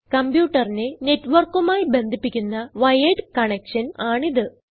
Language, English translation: Malayalam, It is a wired connection that allows a computer to connect to a network